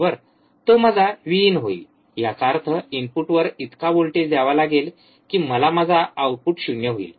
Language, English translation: Marathi, That will be my V in; that means, this much voltage at the input I have to apply to make my output 0, easy right